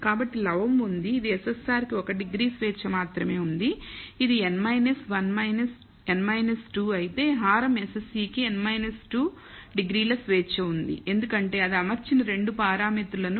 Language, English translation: Telugu, So, there is numerator which is SSR has only one degree of freedom which is n minus 1 minus n minus 2 whereas, the denominator SSE has n minus 2 degrees of freedom because it has 2 parameters which is fitted